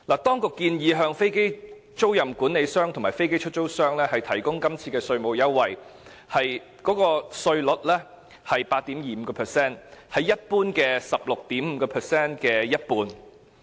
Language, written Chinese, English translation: Cantonese, 當局今次建議向飛機租賃管理商和飛機出租商提供的稅務優惠，稅率是 8.25%， 為一般稅率 16.5% 的一半。, The authorities current proposal is to give tax concessions to aircraft leasing managers and aircraft lessors at a rate of 8.25 % which is half of the prevailing tax rate